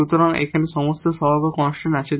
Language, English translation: Bengali, So, this equation now is with constant coefficients